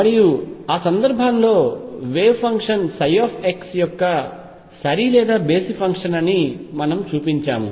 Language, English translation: Telugu, And in that case we showed that the wave function psi x was either even or odd function of x